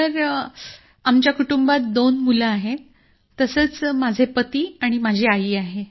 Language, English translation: Marathi, Sir, there are two children in our family, I'm there, husband is there; my mother is there